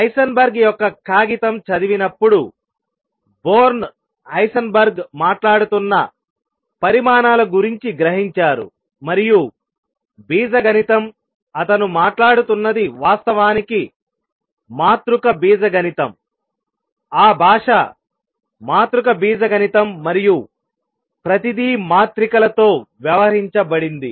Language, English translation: Telugu, Born on reading Heisenberg’s paper realized that the quantities that Heisenberg was talking about and the algebra, he was talking about was actually that of matrix algebra; the language was that of matrix algebra and everything was dealt with matrices